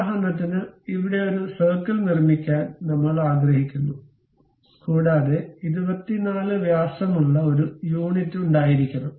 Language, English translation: Malayalam, For example I would like to construct a circle here and that supposed to have a units of 24 diameters